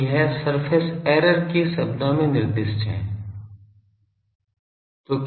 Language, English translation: Hindi, So, that is specified in terms of surface error